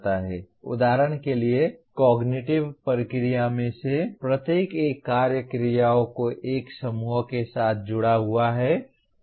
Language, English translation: Hindi, For example each one of the cognitive process is associated with a set of action verbs